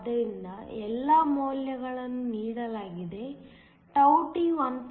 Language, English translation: Kannada, So, all the values are given τt is 1